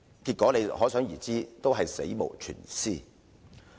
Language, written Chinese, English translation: Cantonese, 結果可想而知，全部都是死無全屍。, Apparently all the guests died and none of them had an intact body